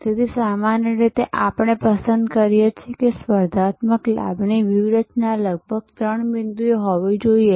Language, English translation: Gujarati, So, normally we prefer that a competitive advantage strategy should have about three points